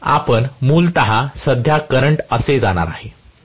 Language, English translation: Marathi, So, we are going to have basically the current going like this